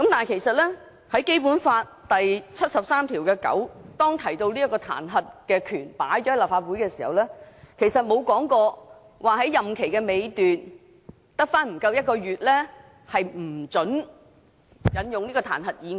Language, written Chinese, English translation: Cantonese, 其實，《基本法》第七十三條第九項提到立法會的彈劾權時，沒有列明在行政長官的任期尚餘只有不足1個月時便不准動議這彈劾議案。, In fact regarding the power of impeachment of the Legislative Council Article 739 of the Basic Law does not say that a motion of impeachment cannot be moved when the remaining time of the term of office of the Chief Executive is less than a month